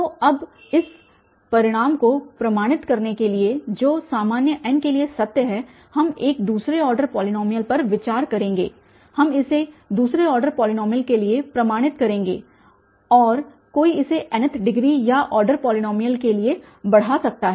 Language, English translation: Hindi, So, now to proof this result which is a true for general n, we will consider a second order polynomial we will proof this for a second order polynomial and one can extend this for nth degree or order polynomial